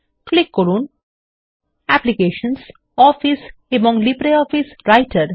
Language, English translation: Bengali, Click on Applications, Office and LibreOffice Writer